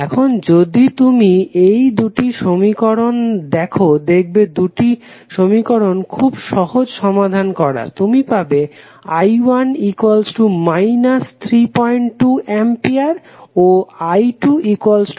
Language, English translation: Bengali, Now, if you see these two equations it is very easy to solve you get the value of i 1 as minus 3